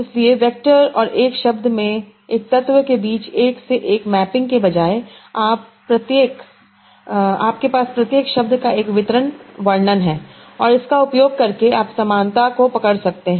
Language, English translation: Hindi, So instead of a one to one mapping between an element in the vector and a word, you have a distributed representation of each words